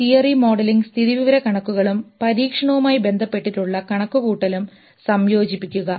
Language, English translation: Malayalam, Integrate theory, modeling, statistics and computation with the experiment